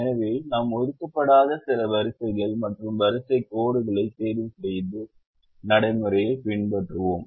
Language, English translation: Tamil, so we followed the procedure where we we ticked some unassigned rows and row lines